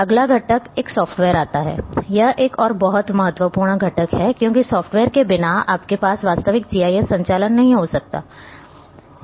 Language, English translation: Hindi, The next one comes, the software this is another very important component because without having software you cannot have real GIS operations